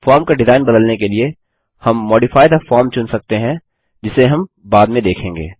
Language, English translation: Hindi, To change the form design, we can choose Modify the form, which we will see later